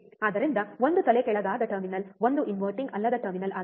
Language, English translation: Kannada, So, one is at inverting terminal one is a non inverting terminal